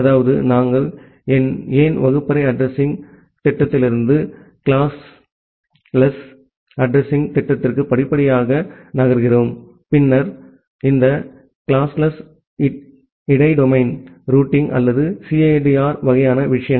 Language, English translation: Tamil, That is, why we gradually move from the classful addressing scheme to the classless addressing scheme and then, this classless inter domain routing or the CIDR kind of things